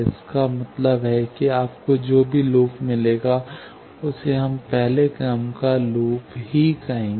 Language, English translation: Hindi, That means that, any loop you find, that we will call a first order loop